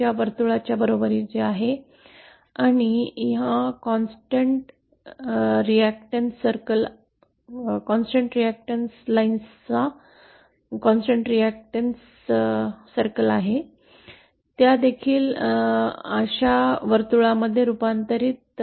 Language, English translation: Marathi, 5 circle and these constant reactant lines, these constant reactants lines, they also get converted to circles like this